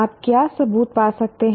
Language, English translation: Hindi, What evidence can you find